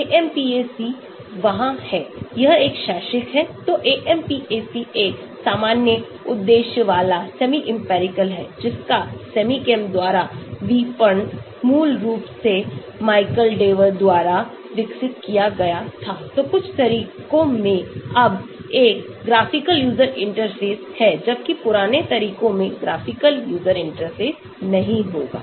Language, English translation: Hindi, AMPAC is there, it is an academic, so AMPAC is a general purpose semi empirical, marketed by SemiChem was developed originally by Michael Dewar, so in some methods are now a graphical user interface, whereas the older methods will not have graphical user interface